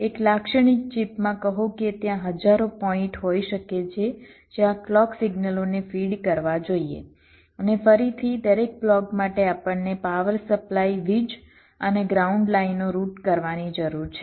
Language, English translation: Gujarati, say, in a typical chip, there can be thousands of points where the clock signals should be fed to, and again, for every block we need the power supply and ground lines to be routed ok